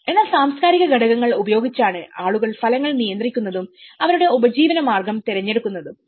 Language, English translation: Malayalam, But it is with the cultural factors which people manage the results and make their livelihood choices to act upon